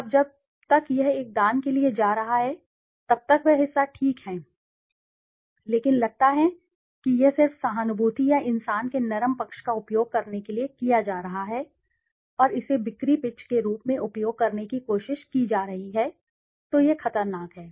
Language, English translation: Hindi, Now till it is going for a charity, that side of the part is okay, but supposes it is being done for just utilizing the sympathy or the soft side of human being and trying to use it as a sales pitch then it is dangerous